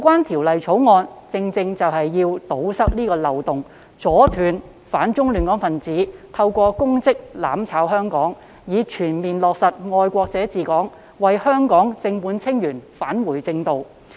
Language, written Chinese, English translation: Cantonese, 《條例草案》的目的，正正是為了堵塞漏洞、阻斷"反中亂港"分子透過公職"攬炒"香港，以全面落實"愛國者治港"，讓香港正本清源，返回正道。, The Bill precisely seeks to plug the loopholes and forestall people opposing China and seeking to disrupt Hong Kong from using their public offices to achieve mutual destruction so as to fully implement the principle of patriots administering Hong Kong and enable Hong Kong to return to the right path by rectifying the root cause of the problems